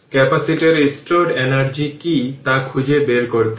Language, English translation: Bengali, We will have to find out that what your the energy stored in the capacitor